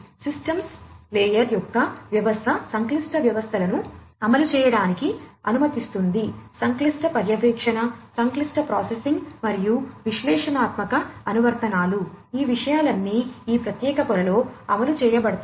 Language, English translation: Telugu, System of systems layer allows complex systems to be executed, complex monitoring, complex processing, and analytic applications, all of these things could be executed at this particular layer